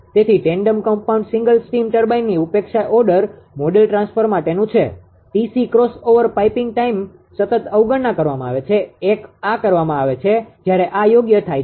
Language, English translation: Gujarati, So, this is reduced order model for tandem compound single reheat steam turbine neglecting T c that crossover piping time constant is neglected, 1 this is done once this is done right